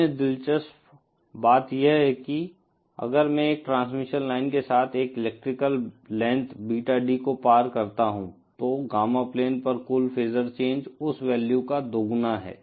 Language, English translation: Hindi, Other interesting thing is that if I traverse an electrical length Beta D along a transmission line, the total phasor change on the Gamma plane is twice of that value